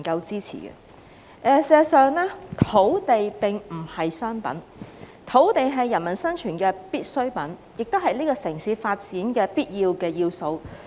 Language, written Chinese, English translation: Cantonese, 事實上，土地並不是商品，而是人民生存的必需品，亦是這個城市發展的必要要素。, In fact land is not a commodity but a necessity essential for peoples survival and a necessary element for the development of this city